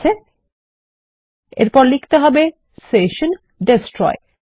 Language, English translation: Bengali, Ok and then we need to say session destroy